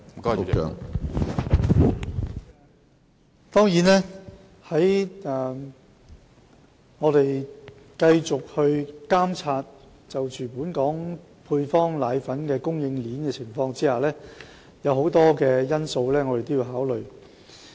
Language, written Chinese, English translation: Cantonese, 我們會繼續監察本港配方粉供應鏈的情況，有很多因素我們都要考慮。, We will continue to monitor the supply chain of powdered formula in Hong Kong and there are many factors we must take into consideration